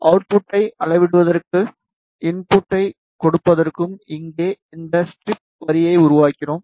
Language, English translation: Tamil, Here we made this strip line to measure output and give input